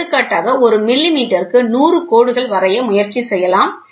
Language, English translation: Tamil, For example, you can try to have 100 lines drawn per millimeter